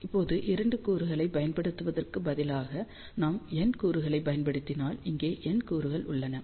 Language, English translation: Tamil, So, now instead of using 2 elements, if we use N elements so, here are N elements